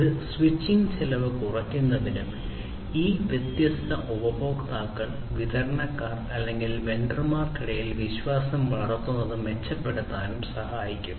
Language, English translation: Malayalam, This basically will help in reducing the switching cost, and also improving building the trust between these different customers and the suppliers or the vendors